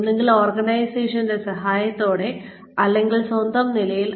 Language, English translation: Malayalam, Either with the help of this, the organization, or on their own